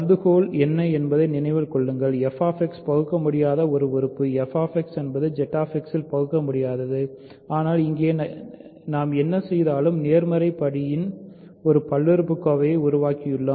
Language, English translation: Tamil, Remember what is hypothesis f X is irreducible right; f X is irreducible in Z X, but here whatever we done we have produced a polynomial of positive degree